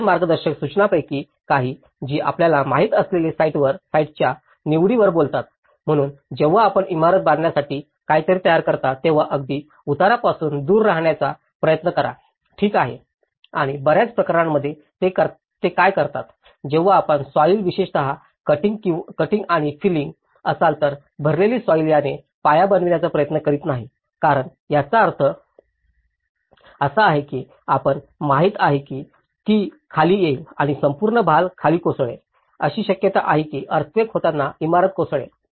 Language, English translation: Marathi, Some of the other guidelines, which they talk on the site selection you know, so when you are constructing something for building try to avoid the sufficient away from the steep slopes okay and also in many cases what they do is; when you are cutting down and filling the soil especially, the filled up soil try not to make the foundations in this because that is going to have an implication that you know, it might come down and the whole load will collapse, there is a possibility that the building may collapse at the time of earthquake